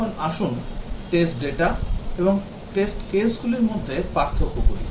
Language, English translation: Bengali, Now, let us distinguish between test data and test cases